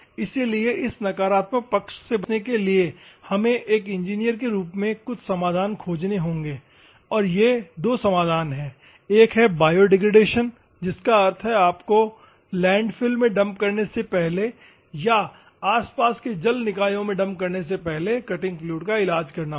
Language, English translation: Hindi, So, to avoid this negative sides we have to find some solutions as engineers and these solutions are two; one is biodegradation that means, that you have to treat with cutting fluid before you are dumping into the landfills or before you are dumping into the nearby water bodies